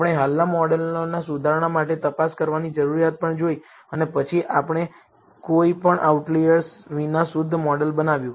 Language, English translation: Gujarati, We also saw the need for checking for refinement of existing models and then we built a refined model without any outliers